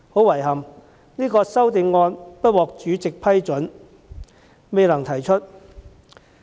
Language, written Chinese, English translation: Cantonese, 遺憾的是，這項修正案不獲主席批准，未能提出。, Regrettably the amendment was rejected by the President and cannot be proposed